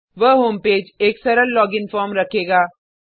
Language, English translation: Hindi, The home page will contain a simple login form